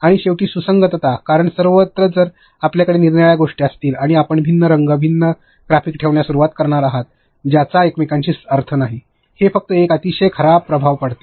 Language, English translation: Marathi, And lastly consistency, because everywhere if you are going to have different things and you are going to start putting different colors and different graphics which have no meaning with each other; it just gives a very poor impression